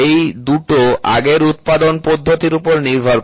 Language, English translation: Bengali, These two depends on the previous manufacturing process